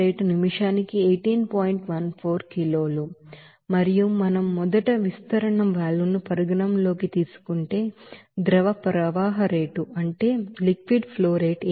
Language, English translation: Telugu, 14 kg per minute and if we consider first that expansion valve we can say that inlet is you know liquid flow rate is 18